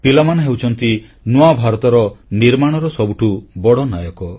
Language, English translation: Odia, Children are the emerging heroes in the creation of new India